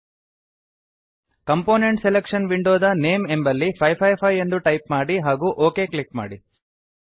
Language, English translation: Kannada, In the Name field of component selection window, type 555 and click on Ok